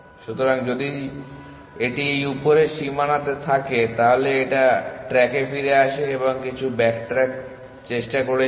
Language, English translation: Bengali, So, if it runs into this upper bound it back tracks and try something backtracks and try something